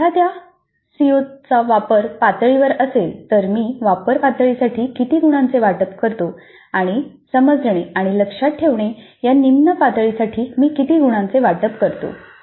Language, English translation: Marathi, If a C O is at apply level, how many marks do allocate to apply level and how many marks do allocate to the lower levels which is understand and remember